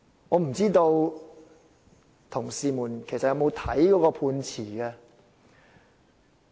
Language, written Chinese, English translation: Cantonese, 我不知道同事們有否閱讀判詞。, I do not know if colleagues have read the Judgment or not